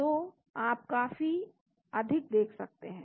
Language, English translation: Hindi, So, you can see quite high